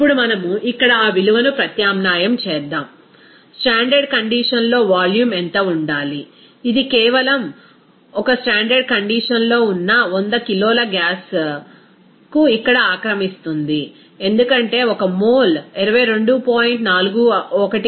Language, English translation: Telugu, Now let us substitute that value here, what should be the volume at a standard condition, it is simply that for 100 kg of the gas at a standard condition will occupy this here because 1 mole will occupy the 22